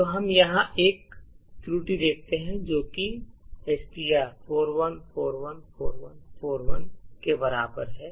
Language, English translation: Hindi, So, what happens now is that we see an error over here stating that STR equal to 41414141